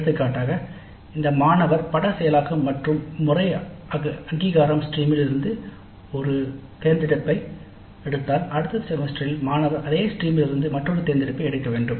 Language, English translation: Tamil, For example if the student picks up one elective from let us say image processing and pattern recognition stream in the next semester the student is supposed to pick up another elective from the same stream